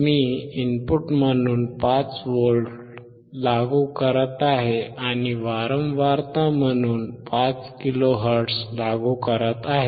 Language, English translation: Marathi, I am applying 5V as input and applying 5 kilo hertz as a frequency